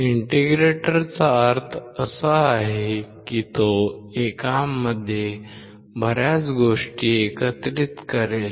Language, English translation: Marathi, Integrator means it will integrate a lot of things in one